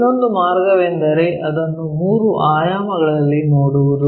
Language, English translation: Kannada, The other way is look at it in three dimensions